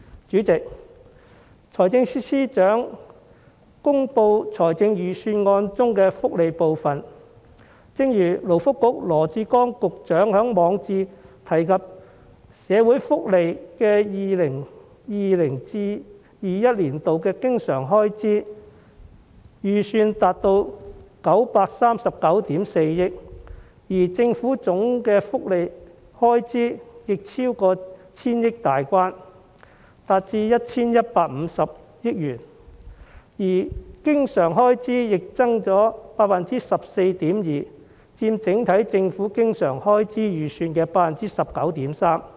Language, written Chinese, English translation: Cantonese, 主席，在財政司司長公布預算案中的福利部分，正如勞工及福利局局長羅致光在其網誌中提到 ，2020-2021 年度社會福利經常開支預算達到939億 4,000 萬元，而政府的總福利開支亦超過千億元大關，達至 1,150 億元，經常開支增幅亦達到 14.2%， 佔整體政府經常開支預算的 19.3%。, President in the welfare section in the Budget announced by the Financial Secretary as mentioned by the Secretary for Labour and Welfare Dr LAW Chi - kwong in his blog the estimated recurrent expenditure for social welfare in 2020 - 2021 amounts to 93.94 billion while the Governments total welfare expenditure exceeds the 100 billion mark amounting to 115 billion the recurrent expenditure also increases by 14.2 % which accounts for 19.3 % of its overall estimated recurrent expenditure